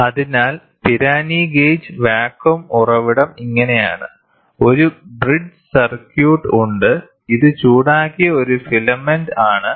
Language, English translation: Malayalam, So, this is how a Pirani gauge a vacuum source there, a bridge circuit is there, this is a filament which is heated